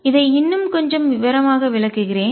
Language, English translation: Tamil, Let me explain this little more in details